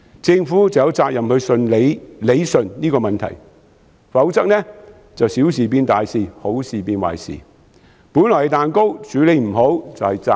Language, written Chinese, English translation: Cantonese, 政府有責任理順這個問題，否則便會小事變大事，好事變壞事；本來是蛋糕，處理不好便是炸彈。, The Government has the responsibility to straighten out this problem otherwise small issues will become big and good deeds will turn bad . A cake not properly baked will become a bomb